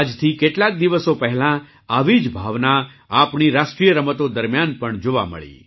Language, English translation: Gujarati, A few days ago, the same sentiment has been seen during our National Games as well